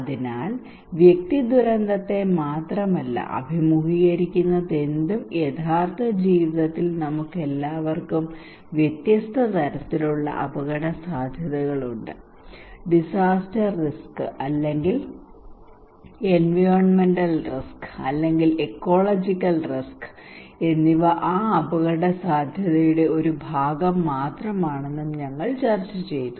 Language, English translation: Malayalam, So we discussed that individual does not face only disaster, but in real life we all have different kind of risk, and disaster risk or environmental risk or ecological risk is just one part of that risk